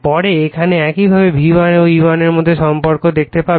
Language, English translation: Bengali, Later we will see the relationship between V1 and E1 similarly here